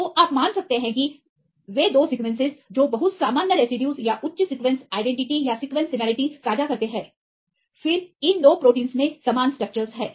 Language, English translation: Hindi, So, you can assume that the 2 sequences they share very common residues or high sequence identity or sequence similarity, then these 2 proteins have similar structures